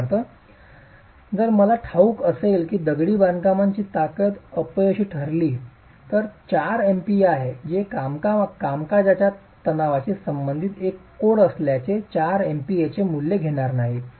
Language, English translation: Marathi, For example if I know that the strength of the masonry is 4 MPA at failure, this being a code that deals with working stresses will not take the value of 4 MPA